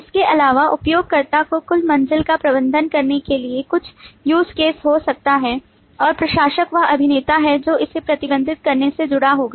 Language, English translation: Hindi, through this association, In addition, there could be certain use case to manage the users, to manage the total floor, and administrator is the actor who will be associated with managing this